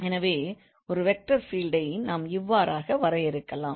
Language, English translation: Tamil, So that's how we define the vector field